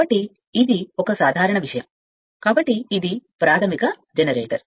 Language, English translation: Telugu, So, this is a simple thing so, this is elementary generator